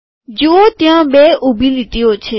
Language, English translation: Gujarati, See there are two vertical lines